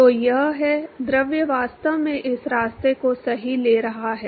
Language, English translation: Hindi, So, this is the; fluid is actually taking this path right